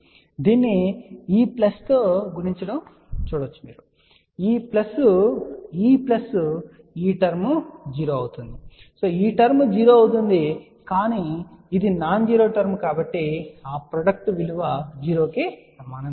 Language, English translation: Telugu, You can just see there multiply this with this plus this plus this plus this plus this this term will be 0, this term will be 0, but this is a nonzero term so hence that product is not equal to 0, ok